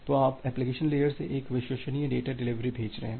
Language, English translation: Hindi, So, you are from the application layer you are sending a reliable data delivery